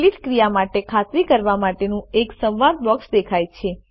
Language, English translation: Gujarati, A dialog box requesting you to confirm the delete action appears.Click OK